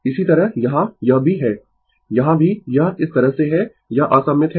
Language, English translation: Hindi, Similarly, here it is also here also it is like this it is unsymmetrical